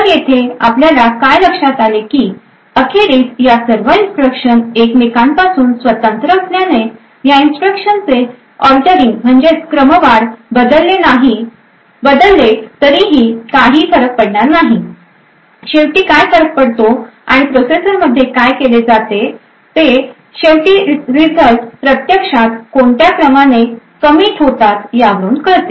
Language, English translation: Marathi, So, what we notice over here is that eventually since all of these instructions are independent of each other the ordering of these instructions will not matter, what does matter eventually and what is done in the processor is at the end of execution the results are actually committed in order